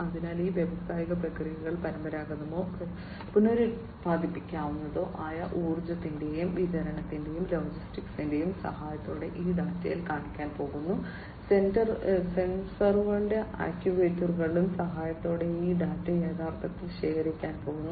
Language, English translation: Malayalam, So, these industrial processes with the help of these traditional or renewable forms of energy plus supply and logistics these are all going to show in this data, and with the help of the sensors and actuators, this data are going to be in fact collected